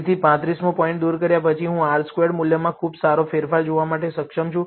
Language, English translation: Gujarati, So, after removing the 35th point, I am able to see a pretty good change in the R squared value